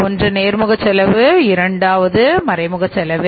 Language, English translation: Tamil, Here it is the indirect cost